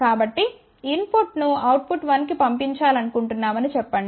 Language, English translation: Telugu, So, let us say we want to send the input to output 1